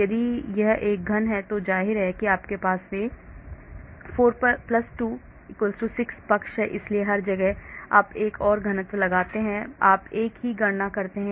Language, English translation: Hindi, If it is a cube then obviously you have 4+2=6 sides of it so everywhere you assume another cube placed and you do the same calculation